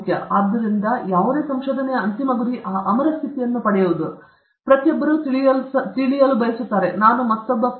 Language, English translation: Kannada, So, the ultimate goal of any research is to get that immortal status; everybody wants to know will I become another Prandtl